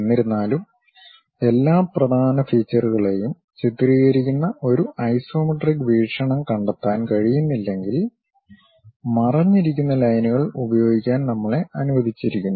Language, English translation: Malayalam, However, if an isometric viewpoint cannot be found that clearly depicts all the major futures; then we are permitted to use hidden lines